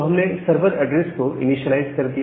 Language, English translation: Hindi, So, we have initialized the sever address